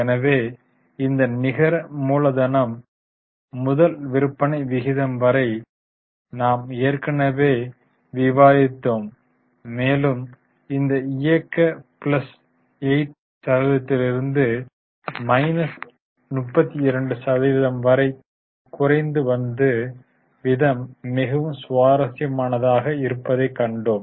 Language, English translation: Tamil, So, we had come up to this net working capital to sales ratio and we had seen that the movement is really very interesting from plus 8% to minus 32%